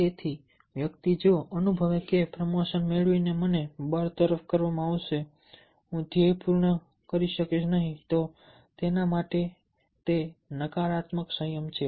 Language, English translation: Gujarati, so the person: if you feel that by getting promotion i will be fired, i will not able to accomplish the goal, then it has a negative valency for him